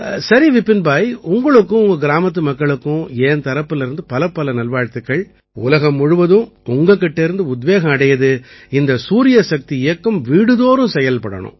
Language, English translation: Tamil, Fine, Vipin Bhai, I wish you and all the people of your village many best wishes and the world should take inspiration from you and this solar energy campaign should reach every home